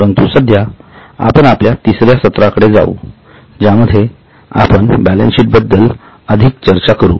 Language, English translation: Marathi, But right now let us move to section our session three which will discuss further about the balance sheet